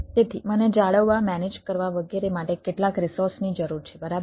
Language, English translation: Gujarati, so how much resources i need to maintain, manage, etcetera, right